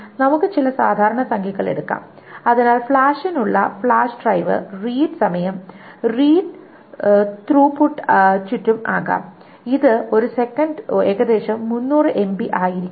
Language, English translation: Malayalam, So flash drive, the read time for flash can be around, the read throughput can be around 300 megabytes per second